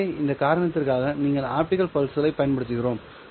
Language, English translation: Tamil, So for this reason we use optical pulses